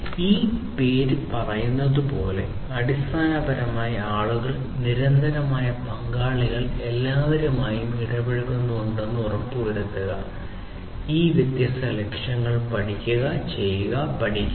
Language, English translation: Malayalam, And as this name says it basically to ensure that people, the constant stakeholders are all engaged, and they should follow these different objectives learn, do, teach